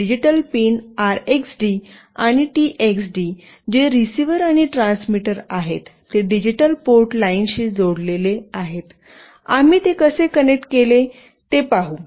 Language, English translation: Marathi, The digital pins RXD and TXD, that is the receiver and transmitter, are connected to the digital port lines, we will see that how we have connected